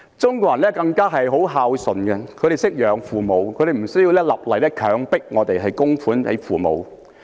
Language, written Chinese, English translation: Cantonese, 中國人更是十分孝順，他們懂得供養父母，不需要政府立例強迫他們供養父母。, The Chinese people are known for their filial piety; they will support their parents and do not need the Government to enact laws to compel them to do so